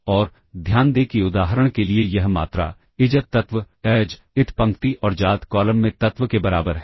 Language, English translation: Hindi, And; note that this quantity for instance, the ijth element, aij equals the element in ith row and the jth column